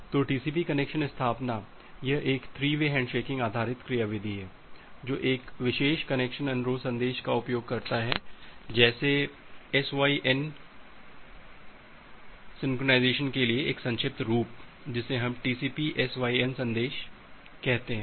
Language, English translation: Hindi, So, TCP connection establishment, it is a three way handshaking based mechanism it is utilizes a special connection request message called SYN a short form for synchronization we call it as TCP SYN message